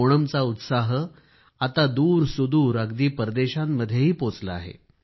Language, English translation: Marathi, The zest of Onam today has reached distant shores of foreign lands